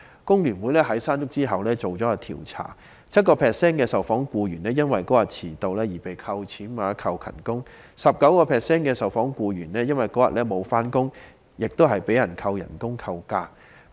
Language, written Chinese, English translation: Cantonese, 工聯會在"山竹"過後進行一項調查，發現 7% 的受訪僱員因當天遲到而被扣減工資或勤工獎 ，19% 的受訪僱員因當天沒有上班而被扣減工資或假期。, FTU conducted a survey after Mangkhut passed through Hong Kong and found that 7 % of employees polled had their wage or attendance bonus deducted for being late on that day and 19 % of employees polled had their wage or annual leave deducted for failing to show up at work